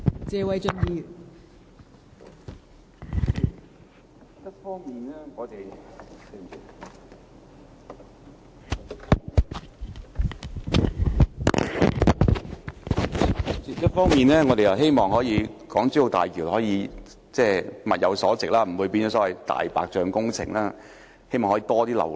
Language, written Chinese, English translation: Cantonese, 代理主席，我們一方面希望大橋物有所值，不會淪為"大白象"工程，而交通流量亦可以增加。, Deputy President on the one hand we hope to achieve value for money for HZMB and increase traffic flow instead of seeing it degenerate into a white elephant project